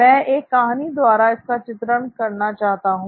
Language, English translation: Hindi, So I want to illustrate that through a story